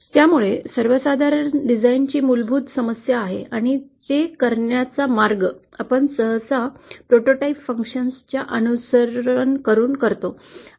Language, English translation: Marathi, So that is the basic problem of a design & the way to do it, what we usually follow is to have some prototype functions